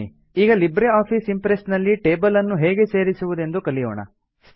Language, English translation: Kannada, Lets now learn how to add a table in LibreOffice Impress